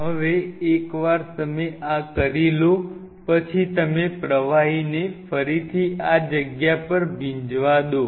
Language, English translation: Gujarati, Now, once you do this you allow the fluid to get soaked again into these spaces fine